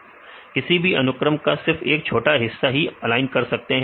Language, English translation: Hindi, Right, only the small part of the sequence you can align